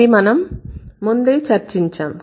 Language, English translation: Telugu, We have already discussed that